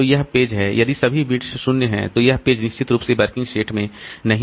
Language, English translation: Hindi, So this, this page is, if all the bits are zero, then that page is definitely not in the working set